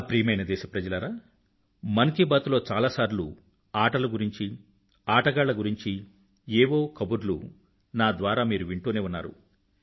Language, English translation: Telugu, My dear countrymen, many a time in 'Mann Ki Baat', you must have heard me mention a thing or two about sports & sportspersons